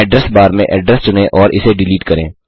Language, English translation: Hindi, * In the address bar select the address and delete it